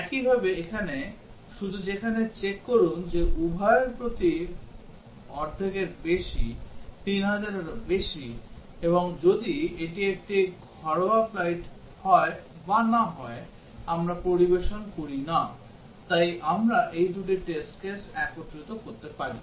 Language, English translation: Bengali, Similarly, here, just check here that this is per both of this more than half full, more than 3000, and if it is a domestic flight or not, we do not serve, so we can combine these two test cases into a single one